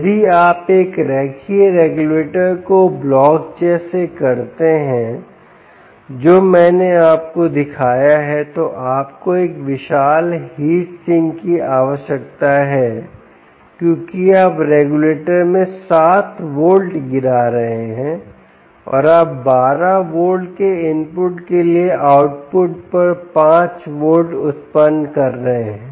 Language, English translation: Hindi, if you do a linear regulator, like the block i showed you here, you need a huge heat sink because you are dropping seven volts across the regulator and you are generating five volts at the output for an input of twelve volts